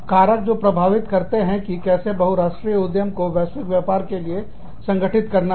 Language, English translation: Hindi, Factors that influence, how multinational enterprises organize for, global business